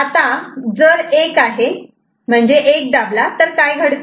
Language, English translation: Marathi, So, if 1 is present 1 is pressed right